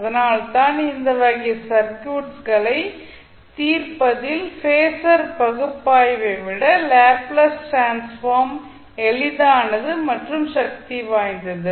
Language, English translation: Tamil, So that is why the Laplace transform is more easier and more powerful than the phasor analysis in solving these type of circuits